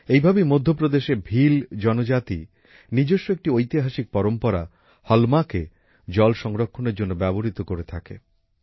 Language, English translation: Bengali, Similarly, the Bhil tribe of Madhya Pradesh used their historical tradition "Halma" for water conservation